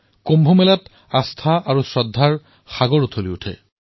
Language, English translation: Assamese, In the Kumbh Mela, there is a tidal upsurge of faith and reverence